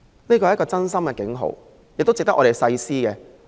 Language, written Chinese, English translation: Cantonese, 這是一個真心的警號，值得我們深思。, The warning given in good faith is worthy of our serious consideration